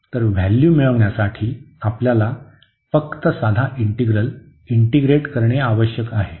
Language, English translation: Marathi, So, we need to just integrate the simple integral to get the values